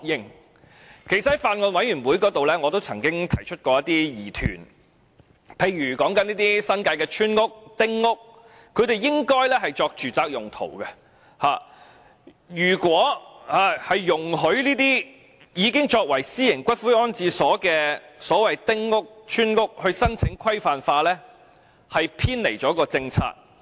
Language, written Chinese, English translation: Cantonese, 事實上，我在法案委員會會議上也曾提出一些疑問，例如新界的村屋或丁屋，本應作住宅用途，如果容許這些已經作為私營龕場的丁屋或村屋申請規範化，是否會偏離政策？, In fact I have also raised some questions at meetings of the Bills Committee . For example given that village houses or small houses of the New Territories should be used for residential purpose will the Government be deviating from its policy if it allows some of these houses which have been used as private columbaria to apply for regularization?